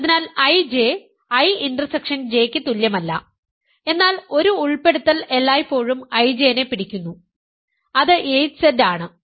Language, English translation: Malayalam, So, I J is not equal to I intersection J, but one inclusion always holds I J which is 8Z is contained in I intersection J